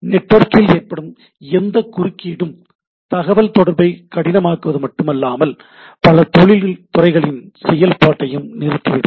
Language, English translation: Tamil, This any interruption of the network will make the not only make us difficult to communicate, but several industry several industrial processes will come into a standstill